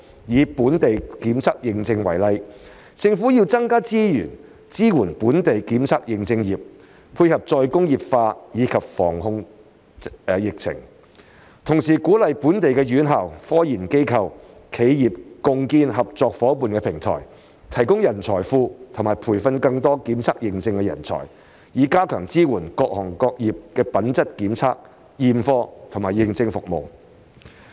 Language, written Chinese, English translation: Cantonese, 以本地檢測認證業為例，政府要增加資源支援本地檢測認證業，配合"再工業化"及防控疫情；同時鼓勵本地院校、科研機構丶企業共建合作夥伴平台，提供人才庫和培訓更多檢測認證人才，以加強支援各行業品質檢測、驗貨和認證服務。, The Government should provide more resources to support the local testing and certification industry to cope with re - industrialization and epidemic prevention and control . At the same time it should encourage local universities research institutes and enterprises to jointly establish a partnership platform provide a talent pool and train more testing and certification talents to enhance support for quality testing inspection and certification services in various industries . Let me give another example